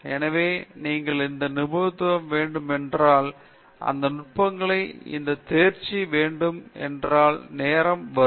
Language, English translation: Tamil, So, if you need to have this mastery, if you need to have this mastery of all these techniques it takes time okay